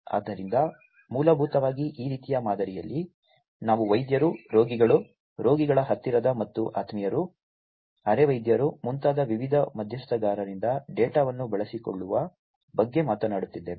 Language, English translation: Kannada, So, essentially in this kind of model, we are talking about utilization of the data by different stakeholders like the doctors, the patients themselves, the you know the near and dear ones of the patients, the paramedics and so on